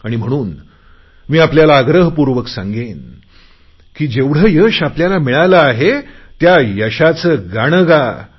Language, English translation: Marathi, And so I would like to appeal that you should sing in celebration of the success that you have achieved